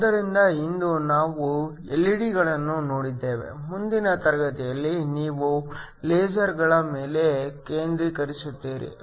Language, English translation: Kannada, So, today we have looked at LED's, the next class you will focus on lasers